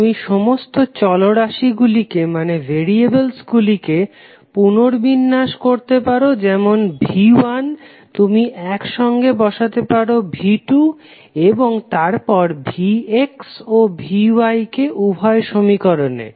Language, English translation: Bengali, You can rearrange all the variables like V 1 you can put together V 2 you can take together and then V X and V Y in both of the equations